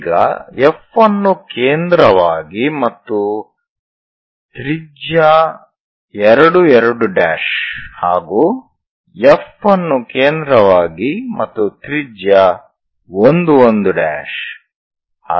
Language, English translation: Kannada, Now with F as center so look, so F as center and radii 2 2 prime